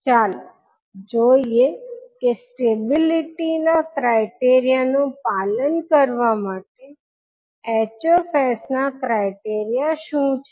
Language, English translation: Gujarati, And let us see what is the criteria for this h s to follow the stability criteria